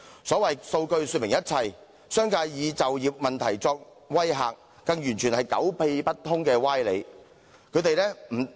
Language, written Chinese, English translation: Cantonese, 所謂數據說明一切，商界以就業問題作威嚇，更完全是狗屁不通的歪理。, As the saying goes data tells all . The business sector threatens that employment will be at stake which is downright bullshit